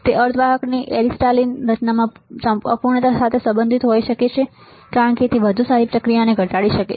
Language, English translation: Gujarati, It may be related to imperfection in the crystalline structure of semiconductors as better processing can reduce it